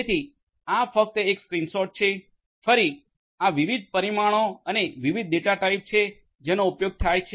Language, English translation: Gujarati, So, so this is just a screenshot once again these are these different; these different parameters and the different data types that are used